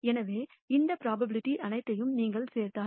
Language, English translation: Tamil, So, if you add up all these probabilities